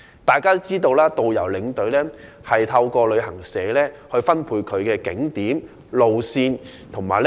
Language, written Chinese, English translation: Cantonese, 大家也知道，導遊和領隊透過旅行社獲分配行程景點、路線和旅客。, As we all know tourist guides and tour escorts are assigned with itineraries routes and tourists by travel agents